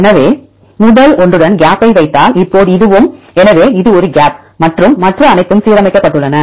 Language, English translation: Tamil, So, now this one if you put a gap with the first one; so this is a gap and all others are aligned